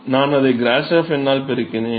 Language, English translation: Tamil, So, I multiplied it by grashof number